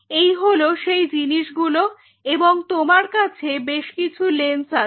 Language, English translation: Bengali, These are the things and you have couple of assembly of lens